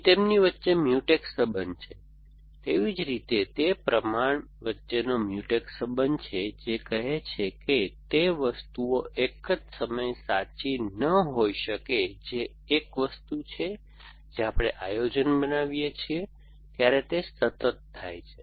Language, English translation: Gujarati, So, you would have a Mutex relation between them, likewise they are Mutex relation between proportions which say that those things cannot be true at the same time one thing which happens constantly as we construct planning